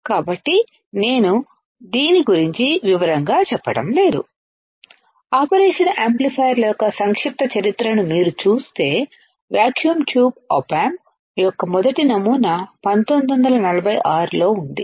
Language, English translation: Telugu, But if you see the brief history of operational amplifiers the first pattern of for vacuum tube op amp was in 1946, 1946